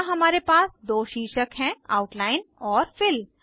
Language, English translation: Hindi, Here we have two headings: Outline and Fill